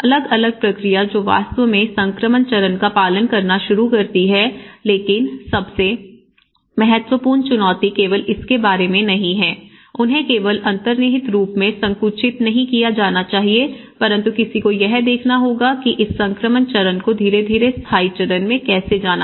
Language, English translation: Hindi, So, different process which starts actually following the transition stage but the most important challenge is not only about it should not be narrowed them only at the built form but one has to look at how this transition stage has to gradually go into the permanent stage